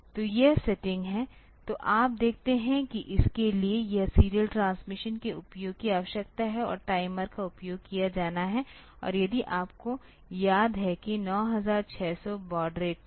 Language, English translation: Hindi, So, this is the setting, so you see that this requires the usage of this serial transmission and the timers are to be used and if you remember that in 9600 baud rate